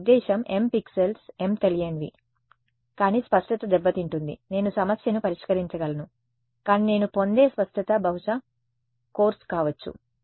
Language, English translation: Telugu, I mean m pixels m unknowns, but resolution will suffer I can solve the problem, but resolution that I will get will probably be course